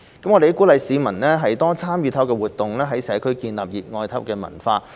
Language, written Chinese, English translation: Cantonese, 我們鼓勵市民多參與體育活動，在社區建立熱愛體育的文化。, We encourage wider public participation in sports so as to foster a strong sports culture in the community